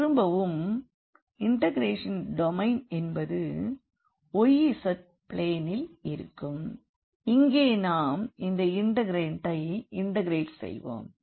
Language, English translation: Tamil, And, again the domain of the integration will be in the xz plane where we are integrating the will be integrating this integrand